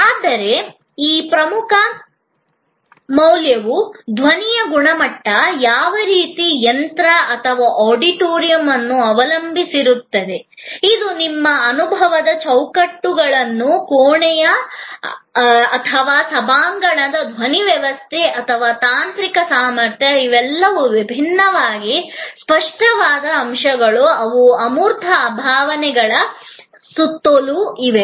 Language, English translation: Kannada, But, that core value depends on the quality of sound, the kind of machine or the kind of auditorium, which is your framework for the experience, the acoustics of the room or the auditorium, the sound system and the technical capability, all of these are different tangible elements, which are around the intangible experience